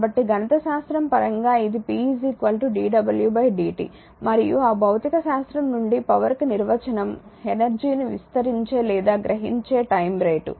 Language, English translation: Telugu, So, mathematically this is p dw by dt and from that from that physics the definition is power is the time rate of expanding or absorbing energy